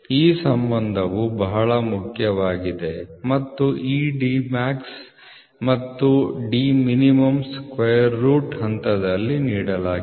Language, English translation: Kannada, So, this is this relationship is very very important and these D max and min are these D which are given in the step